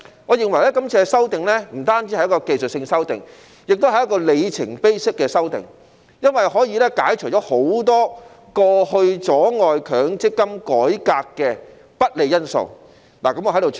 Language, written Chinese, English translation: Cantonese, 我認為這次修訂不止是技術性修訂，也是一個里程碑式的修訂，因為可以排除很多過去阻礙強積金改革的不利因素。, I think this amendment is not only a technical one but also one that marks a milestone as it can eliminate many unfavourable factors hindering the reform of MPF in the past